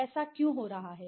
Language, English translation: Hindi, Why it is happening is that